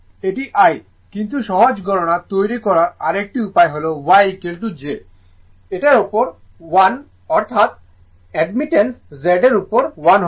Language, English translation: Bengali, This is this is the I right, but another way of making another way of easy calculation is that Y is equal to write 1 upon j that is, the Admittance right you write 1 upon z